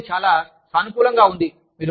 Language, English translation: Telugu, Something, that is very positive